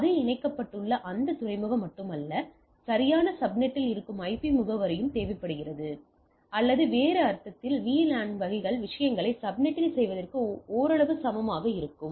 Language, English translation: Tamil, So not only that port where it is connected, but also IP address which is at the proper subnet is required, or in other sense if VLAN drives that in subnetting type of things right somewhat equivalent